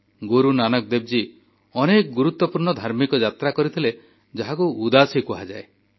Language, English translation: Odia, Guru Nanak Ji undertook many significant spiritual journeys called 'Udaasi'